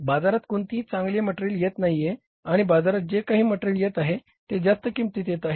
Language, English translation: Marathi, No good material is coming in the market and whatever the material is coming in the market that is at a very high price